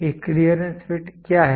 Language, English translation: Hindi, What is a clearance fit